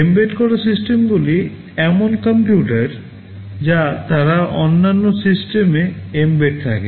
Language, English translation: Bengali, Embedded systems are computers they are embedded within other systems